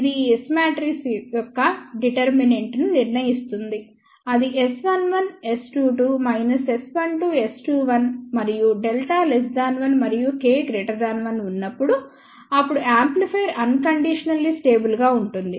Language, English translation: Telugu, It is determinant of S matrix S 1 1 S 2 2 minus S 1 2 S 2 1 and when delta is less than 1 and K is greater than 1, then amplifier is unconditionally stable